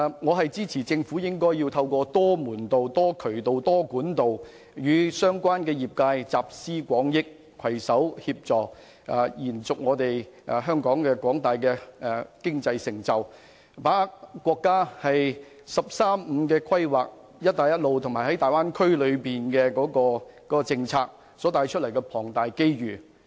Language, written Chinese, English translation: Cantonese, 我支持政府透過多門道、多渠道及多管道與相關業界集思廣益，攜手延續香港的經濟成就，把握國家的"十三五"規劃、"一帶一路"及粵港澳大灣區規劃所帶來的龐大機遇。, I support the Governments move to draw on the collective wisdom of relevant industry stakeholders through various channels and means so as to jointly sustain Hong Kongs economic achievements and seize the immense opportunities arising from the National 13 Five - Year Plan the Belt and Road Initiative and the Guangdong - Hong Kong - Macao Bay Area development